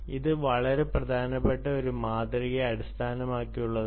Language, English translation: Malayalam, it is based on a very important paradigm